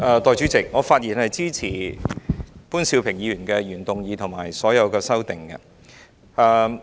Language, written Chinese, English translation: Cantonese, 代理主席，我發言支持潘兆平議員的原議案及所有修正案。, Deputy President I speak in support of Mr POON Siu - pings original motion and all the amendments